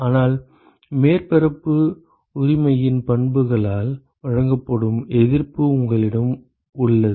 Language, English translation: Tamil, But you have the resistance that is offered by the properties of the surface right